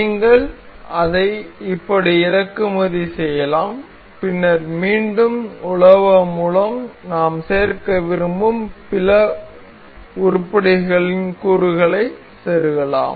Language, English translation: Tamil, You can import it like this, and then again insert component in browse and other items that we intend to include